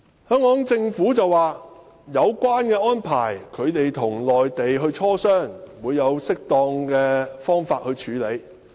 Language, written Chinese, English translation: Cantonese, 香港政府表示會就有關安排與內地進行磋商，並以適當的方式處理。, According to the Hong Kong Government it would engage in consultations with the Mainland on the relevant arrangements and handle them as appropriate